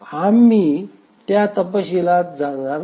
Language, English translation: Marathi, We will not go into details of that